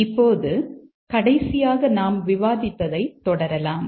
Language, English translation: Tamil, Now let's proceed with what we were discussing last time